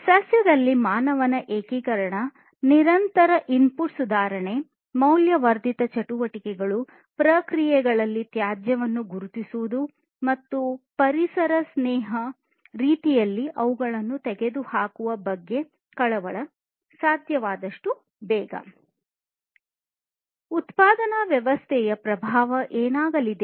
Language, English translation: Kannada, Concerns about the integration of humans in the plant; concerns about continuous input improvement; concerns on the value added activities; and identifying waste in the processes and eliminating them, as soon as possible, in an environment friendly manner